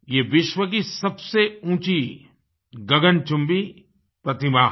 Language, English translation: Hindi, This is the world's tallest scyscraping statue